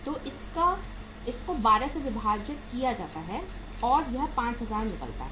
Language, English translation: Hindi, So this is divided by12 this works out as how much 5000